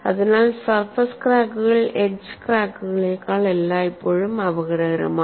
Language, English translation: Malayalam, So, that way surface cracks are always more dangerous than edge cracks